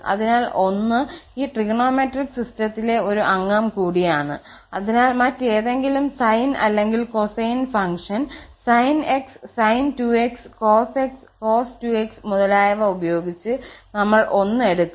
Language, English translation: Malayalam, So, 1 is also a member of this trigonometric system, so this 1 and we will take with any other sine or cosine function, either sin x, sin2x, cosx, cos2x etc